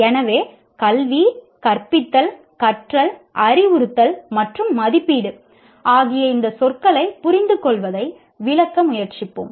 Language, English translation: Tamil, So we will try to explain, understand these words, education, teaching, learning, instruction and assessment